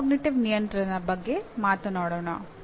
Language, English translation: Kannada, Now coming to metacognitive regulation